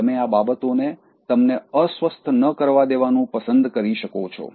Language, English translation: Gujarati, You can choose to not let things upset you